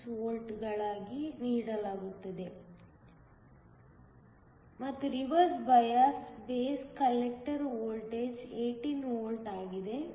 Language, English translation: Kannada, 6 volts; and the reversed bias base collector voltage is 18 volts